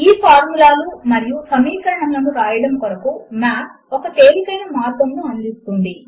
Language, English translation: Telugu, Math provides a very easy way of writing these formulae or equations